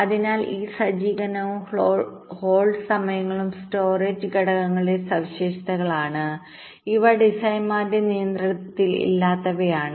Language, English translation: Malayalam, right so this setup and hold times, these are characteristics of the storage elements and these are something which are not under the designers control